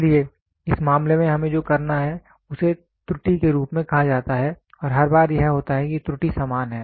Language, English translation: Hindi, So, in this case what we have to do is there is something called as an error and every time it is there if error is going to be the same